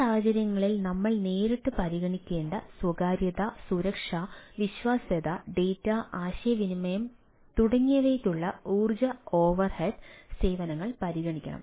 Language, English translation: Malayalam, in this case the services should consider the energy overhead for privacy, security, reliability, data communication, etcetera, which we have not directly considered in this cases